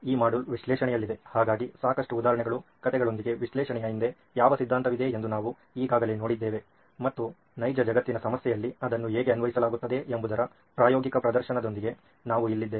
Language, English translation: Kannada, This module is on analyse, so we already saw what theory behind analyse was with lots of examples, stories and so here we are with the practical demonstration of how it is applied in a real world problem